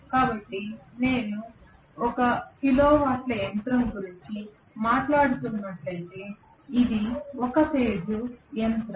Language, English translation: Telugu, So if I am talking about a 1 kilo watt machine which is a single phase machine the noise is still tolerable